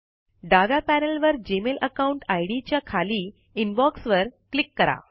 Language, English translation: Marathi, From the left panel, under your Gmail account ID, click Inbox